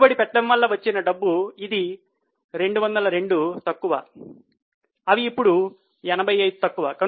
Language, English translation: Telugu, Cash generated from investing where negative 202 they are now negative 85